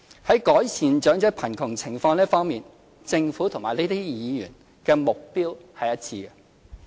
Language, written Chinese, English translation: Cantonese, 在改善長者貧窮情況這一方面，政府與這些議員目標一致。, The Government shares the same goal with Members in alleviating elderly poverty